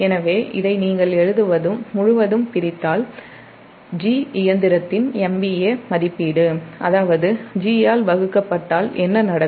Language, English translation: Tamil, so dividing, if you divide this throughout by g, the m v a rating of the machine, that means what will happen, that divide by g